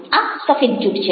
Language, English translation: Gujarati, now, this is a white lie